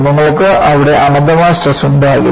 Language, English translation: Malayalam, You will not have infinite stresses there